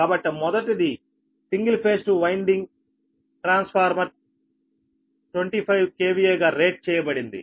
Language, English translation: Telugu, so first, one is a single phase two winding transformer is rated twenty five k v a